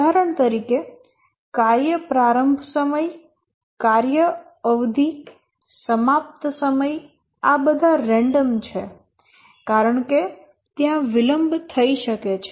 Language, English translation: Gujarati, For example, the task start time, the task duration, end time, these are all random because there can be delays